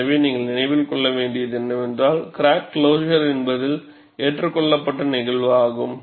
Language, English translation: Tamil, So, what you will have to keep in mind is, crack closure is an accepted phenomena